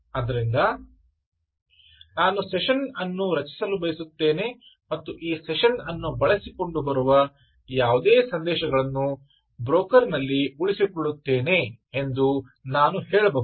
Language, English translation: Kannada, you say that i want to create a session and i want to ensure that whatever messages that come using this session actually are retained on the broker